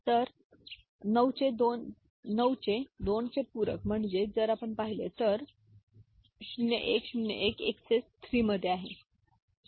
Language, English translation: Marathi, So, say 9s complement of 2, right if you look at, so 0 1, 0 1 is in XS 3, right